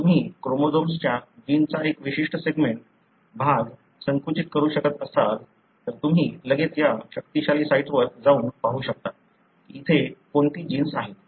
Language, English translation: Marathi, So, if you able to narrow down a particular segment of the gene,region of the chromosome, you can straight away go to this powerful sites and see what are the genes that are present here